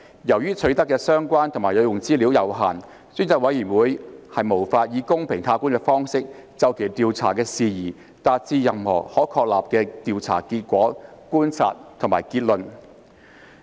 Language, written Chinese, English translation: Cantonese, 由於取得的相關和有用資料有限，專責委員會無法以公平客觀的方式，就其調查的事宜達致任何可確立的調查結果、觀察及結論。, With the limited amount of relevant and useful information on hand it would not be possible for the Select Committee to arrive at any substantiated findings observations and conclusions as regards the matters under inquiry in a fair and objective manner